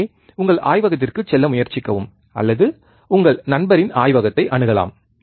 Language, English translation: Tamil, So, try to go to your laboratory, or you can access your friend's lab, right